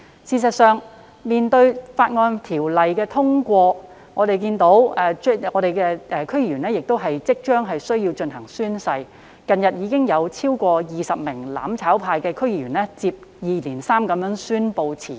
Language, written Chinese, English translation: Cantonese, 事實上，《條例草案》通過在即，區議員即將須依法進行宣誓，近日已有超過20名"攬炒派"區議員相繼宣布辭職。, In fact given the imminent passage of the Bill DC members will be required to take an oath in accordance with the law . Recently more than 20 DC members from the mutual destruction camp have announced their resignation successively